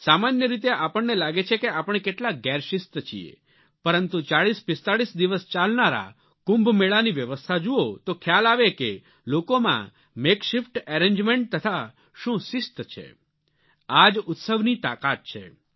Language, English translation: Gujarati, Usually, we think of ourselves as a highly undisciplined lot, but if we just look at the arrangements made during the Kumbh Melas, which are celebrated for about 4045 days, these despite being essentially makeshift arrangements, display the great discipline practised by people